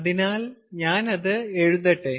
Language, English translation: Malayalam, so let me write down here again